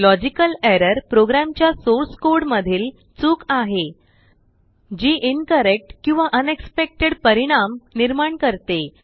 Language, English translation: Marathi, Logical error is a mistake in a programs source code that results in incorrect or unexpected behavior